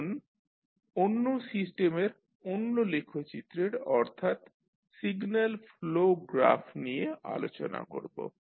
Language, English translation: Bengali, Now, let us talk about another the graphical representation of the system that is Signal Flow Graph